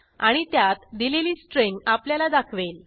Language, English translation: Marathi, And it will print out the string that is specified there